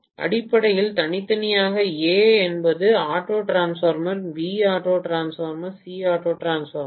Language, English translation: Tamil, Basically individually A is auto transformer, B is auto transformer, C is auto transformer